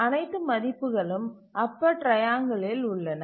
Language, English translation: Tamil, So all the values are in the upper triangle